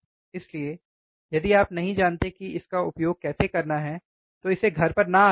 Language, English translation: Hindi, So, if you do not know how to use it, do not try it at home